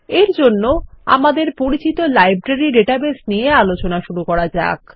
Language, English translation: Bengali, For this, let us consider our familiar Library database example